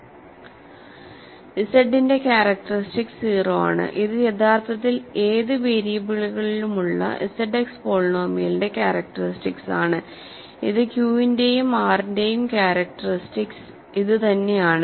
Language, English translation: Malayalam, So, characteristic of Z is 0 and that actually also is the characteristic of Z X polynomial in any number of variables, this is the characteristic of Q, characteristic of R and so on